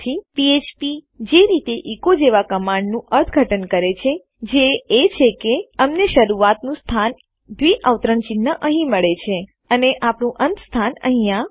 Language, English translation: Gujarati, The way php interprets a command like echo is that we get the starting point, our double quotes here and our ending point here